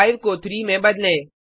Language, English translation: Hindi, LetsChange 5 to 3